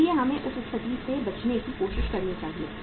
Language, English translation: Hindi, So we should try to avoid that situation